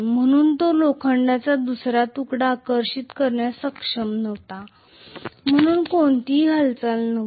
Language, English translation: Marathi, So it was not able to attract the other piece of iron, so there was no movement at all